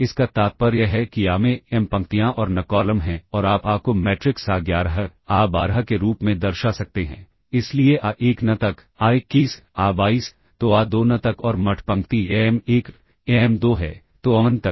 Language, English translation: Hindi, This implies A has m rows and n columns and you can represent A as the matrix a11, a12,so on up to a1n; a21, a22, so on up to a2n and the mth row is am1, am2, so on up to amn